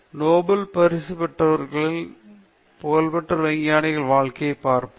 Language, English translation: Tamil, Let us look at the lives of Nobel prize winners and famous scientists